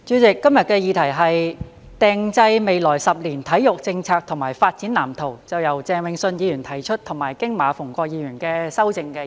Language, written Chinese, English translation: Cantonese, 代理主席，今日的議題是"制訂未來十年體育政策及發展藍圖"，是由鄭泳舜議員提出及經馬逢國議員修正的議案。, Deputy President the motion today is Formulating sports policy and development blueprint over the coming decade which was proposed by Mr Vincent CHENG and amended by Mr MA Fung - kwok